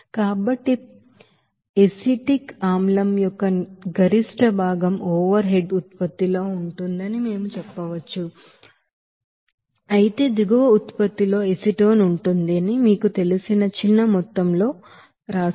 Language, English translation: Telugu, So, we can say that maximum portion of acetic acid will be in the overhead product whereas, you know that small amount of you know acetone will be there in the bottom product